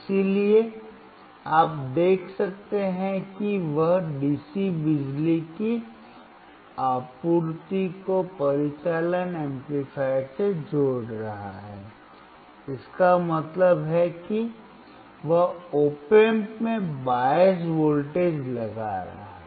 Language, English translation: Hindi, So, you can see he is connecting DC power supply to the operational amplifier; that means, he is applying bias voltage to the op amp